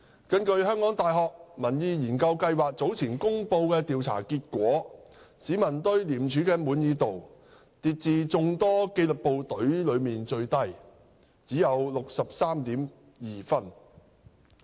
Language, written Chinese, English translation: Cantonese, 根據香港大學民意研究計劃早前公布的調查結果，市民對廉署的滿意度跌至眾多紀律部隊中最低，只有 63.2 分。, According to the poll results published some time ago by the Public Opinion Programme of the University of Hong Kong peoples satisfaction with ICAC has dropped to be the lowest of all disciplined forces with a score of only 63.2